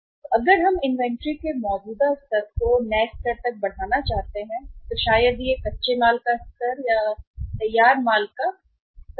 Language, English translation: Hindi, That if we want to increase the level of inventory from the existing to the new one maybe uh the level of raw material, maybe the level of the finished goods inventory